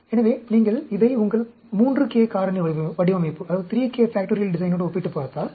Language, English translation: Tamil, So, if you compare it with your 3k factorial design